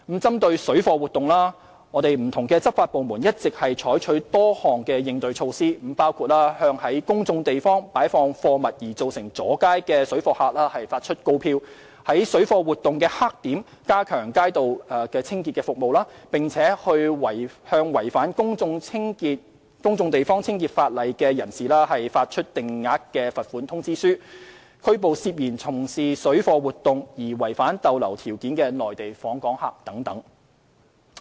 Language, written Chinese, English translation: Cantonese, 針對水貨活動，不同執法部門一直採取多項應對措施，包括向在公眾地方擺放貨物而造成阻街的水貨客發出告票；在水貨活動黑點加強街道清潔服務，並向違反《定額罰款條例》的人士發出定額罰款通知書；拘捕涉嫌從事水貨活動而違反逗留條件的內地訪客等。, Targeting parallel trade activities various law enforcement departments have adopted a number of countermeasures and they include issuing summonses for obstruction caused by parallel traders placing goods in public places enhancing the street cleansing services in parallel trading hotspots issuing Fixed Penalty Notices to people contravening the Fixed Penalty Ordinance arresting Mainland visitors suspected of contravening conditions of stay for engaging in parallel trading activities and so on